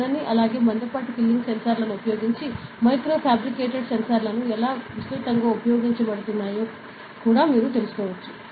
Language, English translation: Telugu, You can also know how micro fabricated sensors using thin as well as thick filling sensors are widely used, ok